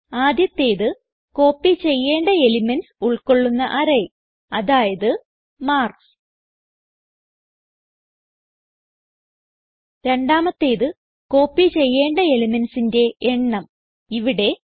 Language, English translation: Malayalam, The first argument is the name of the array from which you want to copy the elements.i.e marks the second is the no.of elements to copy overhere we will copy 5